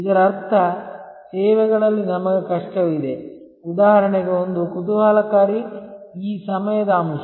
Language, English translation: Kannada, Which means in services, we have difficulty for example, one is very interesting is this time factor